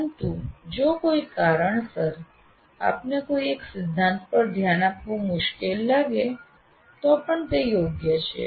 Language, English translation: Gujarati, But if for some reason you find it difficult to pay attention to one of the principles, still it is worthwhile